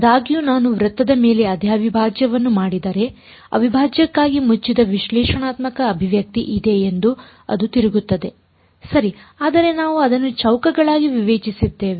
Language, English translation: Kannada, However, if I do the same integral over a circle, it turns out that there is a closed analytical expression itself for the integral ok, but we discretized it into squares